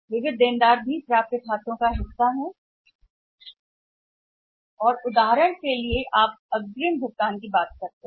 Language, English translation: Hindi, Sundry debtors also the parts of the accounts receivable and then say for example you talk about advance payments